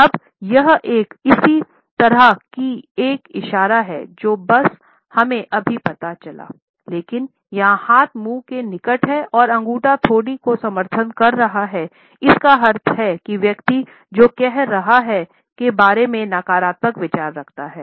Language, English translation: Hindi, Now, this is a similar gesture to the one I have just shown, but here the hand is nearer to the mouth and the thumb is supporting the chin, which means that the person has negative thoughts about what you are saying